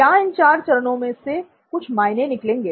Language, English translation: Hindi, Will these four stages, does it make any sense